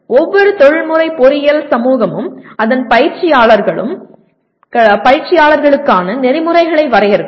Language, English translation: Tamil, Every professional engineering society will define a code of ethics for its practitioners